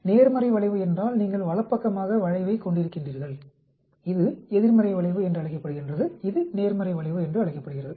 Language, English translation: Tamil, Positive skew that means you have skewed towards the right, this is called a negative skew this called a positive skew